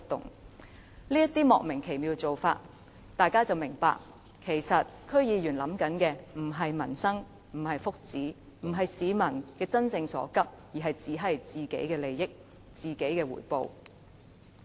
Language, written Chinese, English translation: Cantonese, 看到這種莫名其妙的做法，大家便會明白區議員所想的其實不是民生、不是福祉，也不是急市民真正所急，而只是想到自己的利益和回報。, Looking at these baffling practices we will understand that these DC members are concerned neither about peoples livelihood nor benefits . They do not care about the genuine needs of the people and all they are thinking of is their own interests and rewards